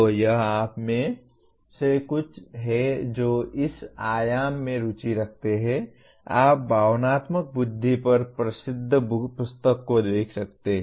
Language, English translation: Hindi, So this is something those of you interested in this dimension you can look at the famous book on emotional intelligence